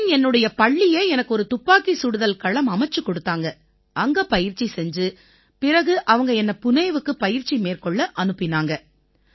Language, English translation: Tamil, Then my school made a shooting range for me…I used to train there and then they sent me to Pune for training